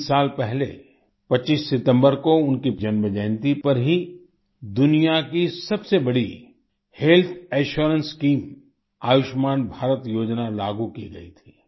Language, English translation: Hindi, Three years ago, on his birth anniversary, the 25th of September, the world's largest health assurance scheme Ayushman Bharat scheme was implemented